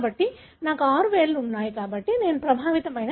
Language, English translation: Telugu, So I have, the six fingers, so I am the individual who is affected